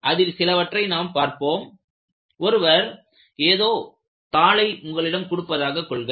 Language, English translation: Tamil, You would see some of them:See, suppose, somebody gives you a sheet of paper